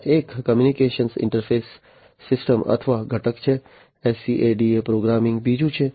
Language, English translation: Gujarati, There is a communication interface system or component, the SCADA programming is another one